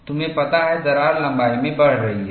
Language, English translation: Hindi, You know, the crack is growing in length